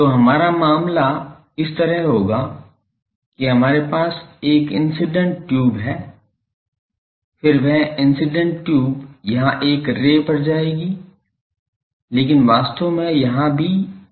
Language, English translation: Hindi, So, our case will be like this we are having an incident tube, then that incident tube will go here on the one ray is shown, but actually here also there will be tube